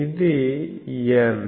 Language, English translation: Telugu, This is N